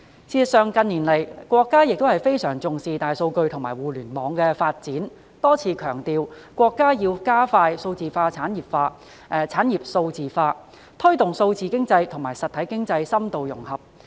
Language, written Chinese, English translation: Cantonese, 事實上，近年國家也相當重視大數據和互聯網的發展，多次強調國家要加快數字產業化、產業數字化，推動數字經濟和實體經濟深度融合。, In fact the country has also attached a great deal of importance to big data and Internet development in recent years and repeatedly emphasized the need to speed up digital industrialization and industrial digitalization as well as promote in - depth integration of digital economy and real economy